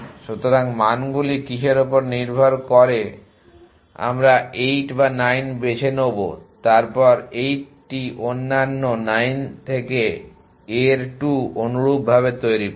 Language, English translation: Bengali, So, depending on what the values are we will choose the 8 or 9 in then construct the 2 of a from 8 other 9 in a similar